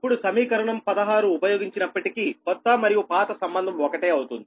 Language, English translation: Telugu, now, using equation sixteen, this is the same that new and old relationship, using equation sixteen, right